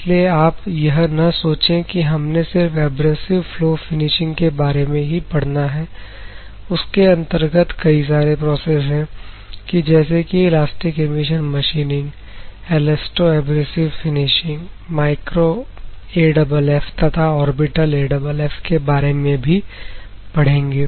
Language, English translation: Hindi, It will cover lot of processes like elastic emission machining, that we have seen in the previous slide, and elasto abrasive finishing, micro AFF, orbital AFF so on